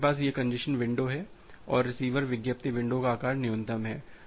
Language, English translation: Hindi, So, you have this congestion window and the receiver advertised window size minimum of that